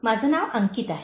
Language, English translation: Marathi, My name is Ankit